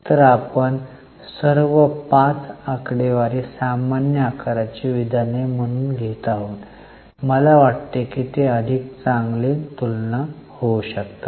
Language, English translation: Marathi, So, here now we are taking all the five figures as common size statements and I think they become much better comparable